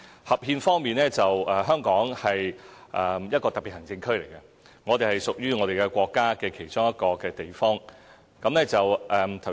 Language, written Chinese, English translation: Cantonese, 合憲方面，香港是一個特別行政區，我們屬於國家其中一個地方。, About being constitutional Hong Kong is a Special Administrative Region and part of China